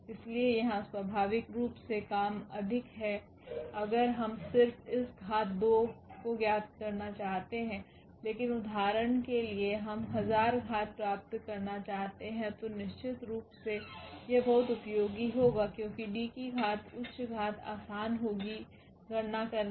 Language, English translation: Hindi, So, here naturally the work is more if we just want to find out this power 2, but in case for example, we want to power to get the power 1000 then definitely this will be very very useful because D power higher power would be easier to compute